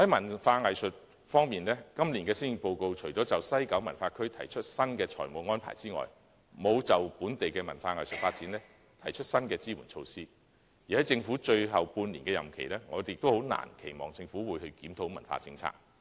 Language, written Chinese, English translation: Cantonese, 在文化藝術方面，今年的施政報告除了就西九文化區提出新的財務安排外，並沒有就本地文化藝術發展提出新的支援措施，而在政府最後半年的任期，我們亦難以期望政府會檢討文化政策。, On arts and culture apart from the new financial arrangements for the West Kowloon Cultural District WKCD this years Policy Address has failed to propose any new support measures for local arts and cultural development . During the last six months of the tenure of the Government we can hardly expect it to review the cultural policy